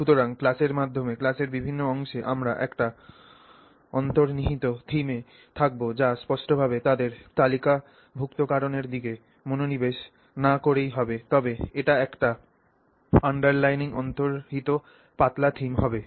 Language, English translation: Bengali, So, through the class at different parts of the class we are at an underlying theme will be this without you know explicitly necessarily focusing on listing them out but the this will be an underlying underlying theme